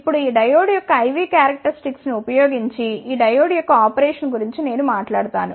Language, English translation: Telugu, Now, I will talk about the operation of this diode using the I V Characteristics of this diode well